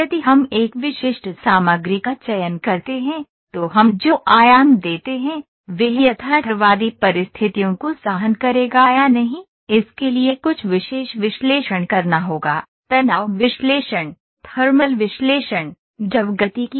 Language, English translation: Hindi, If we select a specific material, then and the dimensions that we give whether it would bear the realistic conditions or not then certain analysis have to be done, stress analysis, thermal analysis, fluid dynamics